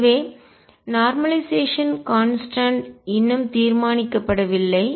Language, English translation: Tamil, So, normalization constant is yet to be determined